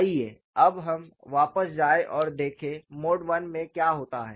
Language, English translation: Hindi, Now, let us go back and see, what happens in mode 1